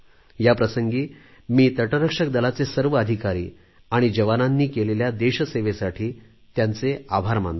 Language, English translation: Marathi, On this occasion I extend my heartfelt gratitude to all the officers and jawans of Coast Guard for their service to the Nation